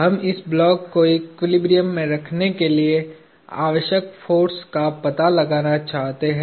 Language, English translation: Hindi, We want to find the force required to hold this block in equilibrium